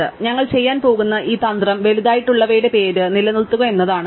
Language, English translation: Malayalam, So, the strategy that we are going to do is to keep the name of the larger one